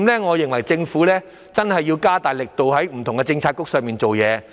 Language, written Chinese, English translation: Cantonese, 我認為政府真的要加大力度，在不同的政策範疇上做工夫。, I think the Government really needs to make greater efforts in various policy areas